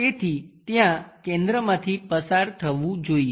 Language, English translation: Gujarati, So, there must be some center passing via this